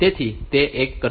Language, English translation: Gujarati, So, it will do that